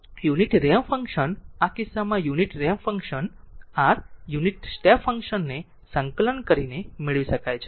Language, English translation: Gujarati, So, unit ramp function, in this case unit ramp function r t can be obtained by integrating the unit step function u t